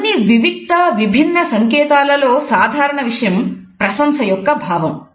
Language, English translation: Telugu, Even though what is common in all these isolated and different signals is a sense of appreciation